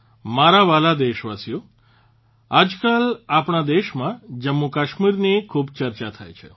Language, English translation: Gujarati, My dear countrymen, nowadays there is a lot of discussion about Jammu and Kashmir in our country